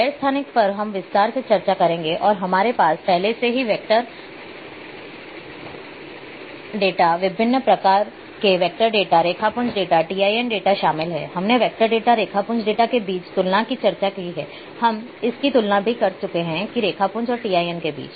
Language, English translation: Hindi, The non spatial one which we will discuss in detail today and we have already covered vector data, different types of vector data, raster data TIN data, we have also discussed the comparison between vector data, raster data, we have also gone through the comparison between raster and TIN